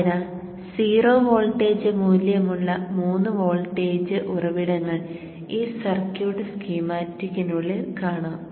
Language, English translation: Malayalam, So three voltage sources with zero voltage value we will interpose inside in this circuit schematic